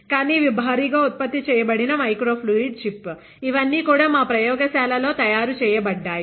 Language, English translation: Telugu, But these are mass produced microfluidic chip, these are all, these are also we have made in our lab